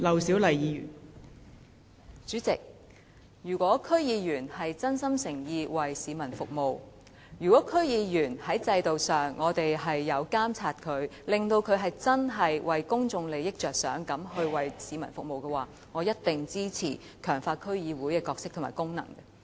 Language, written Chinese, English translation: Cantonese, 代理主席，如果區議員是真心誠意地服務市民的話，如果區議員在制度上可以被監察，確保他們會真正以公眾利益為本地服務市民的話，我一定會支持強化區議會的角色和功能。, Deputy President if District Council DC members are sincere in serving the public and if DC members are subject to monitoring under the system ensuring that they will serve the public truly for the interests of the public I will definitely support strengthening the role and functions of DCs